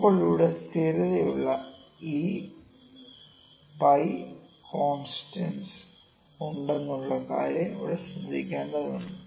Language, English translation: Malayalam, Now, we need to note here that we have constants here e comma pi are constants, e and pi constants here